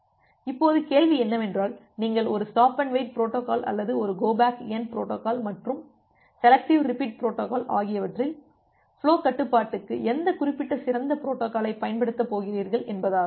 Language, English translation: Tamil, Now the question is that which particular protocol would be better for flow control whether you are going to use a stop and wait protocol or a go back N protocol and selective repeat protocol